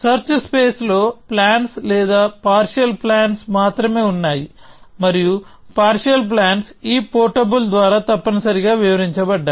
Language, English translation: Telugu, The search space contains only plans or partial plans and partial plans are described by this portable essentially